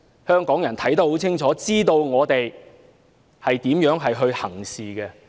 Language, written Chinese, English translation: Cantonese, 香港人看得很清楚，知道我們如何行事。, Hong Kong people know clearly how we conduct our business